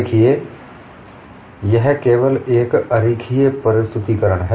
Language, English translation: Hindi, See, this is only a schematic representation